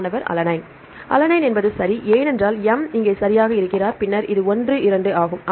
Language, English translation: Tamil, Alanine right because M is here right and then this is 1 2